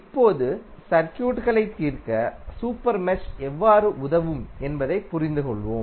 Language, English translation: Tamil, Now, let us understand how the super mesh will help in solving the circuit